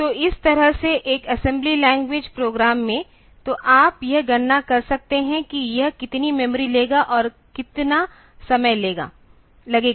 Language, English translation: Hindi, So, this way in an assembly language program; so, you can compute how much memory it will take and how much time it will take